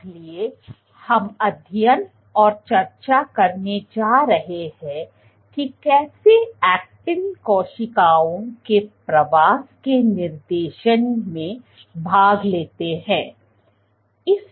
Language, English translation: Hindi, So, what we are going to discuss today is to study how actin participates in directing migration of cells